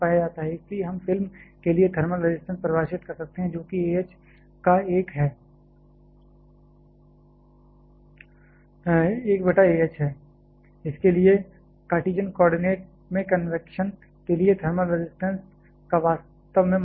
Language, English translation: Hindi, So, we can define a thermal resistance for film is 1 of A h for which is the actually the very standard form of thermal resistance for convection in Cartesian coordinate